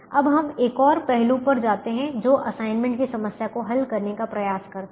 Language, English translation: Hindi, now we move to one more aspects, which is to try and solve the assignment problem